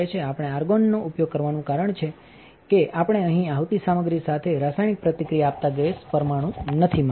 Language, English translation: Gujarati, The reason that we use argon is because we do not want an incoming gas molecule to react chemically with our material here